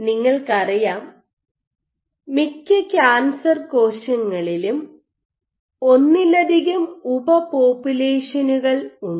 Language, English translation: Malayalam, So, you know for example, in most cancer cells there are multiple subpopulations which are present